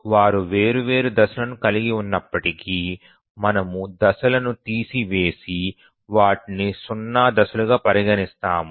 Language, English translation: Telugu, Even if they have different phasing we just remove the phasing and consider there is to be zero phasing